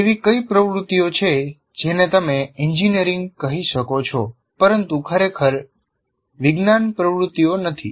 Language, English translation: Gujarati, What are all the activities that you can call strictly engineering but not really science activities